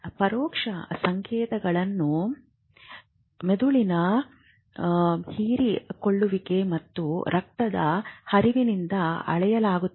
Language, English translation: Kannada, Indirect signals are measured by the brain metabolism and blood flow